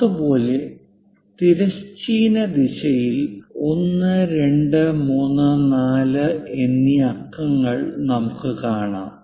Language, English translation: Malayalam, Similarly, in the horizontal direction we see numerals 1, 2, 3 and 4